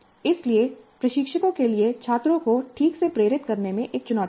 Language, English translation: Hindi, So the instructors will have a challenge in motivating the students properly